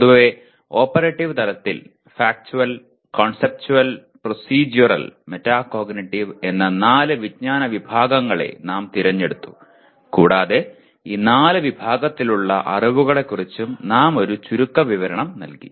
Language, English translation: Malayalam, At operative level, we have selected four general categories of knowledge namely Factual, Conceptual, Procedural, and Metacognitive knowledge and we gave a brief overview of these four categories of knowledge